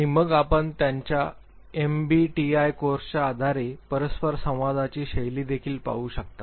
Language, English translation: Marathi, And then you can also look at the interaction style based on their MBTI course